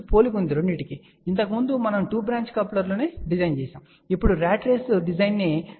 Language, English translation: Telugu, So, earlier we had designed 2 branch coupler, now let us look at the design of a ratrace at the same frequency of 9